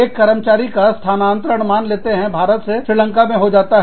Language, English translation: Hindi, An employee gets transferred from, say, India to Srilanka